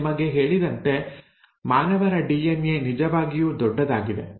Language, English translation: Kannada, Now, the human DNA as I told you is really big